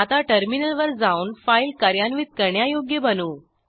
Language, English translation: Marathi, Now go to the terminal, to make the file executable